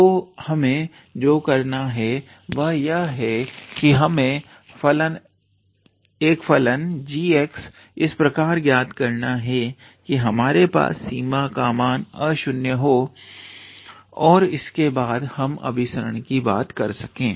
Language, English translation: Hindi, So, all we have to do is to find a function g x such that we can have a non zero limit and then we can talk about the convergence